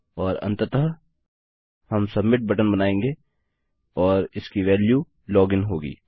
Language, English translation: Hindi, And finally well create a submit button and its value will be Log in